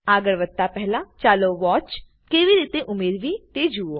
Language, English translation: Gujarati, Before proceeding, let us see how to add a watch